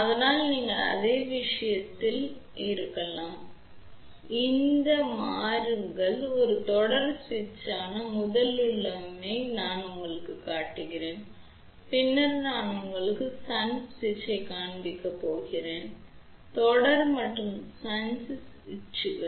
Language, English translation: Tamil, So, that is a simple switch here we are showing you a first configuration which is a series switch later on I am going to show you shunt switch and then combination of series and shunt switches ok